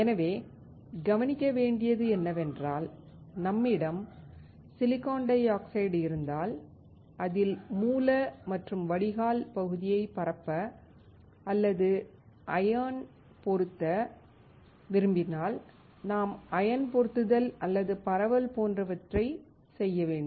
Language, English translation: Tamil, So, the point is that if I have SiO2 and if I want to diffuse or ion implant the source and drain region, then I will do the ion implantation like this or diffusion